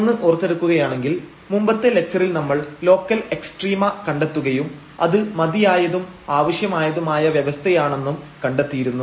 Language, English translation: Malayalam, So, just to recall in the last lecture, we have investigated the local extrema and that was the sufficient conditions and necessary conditions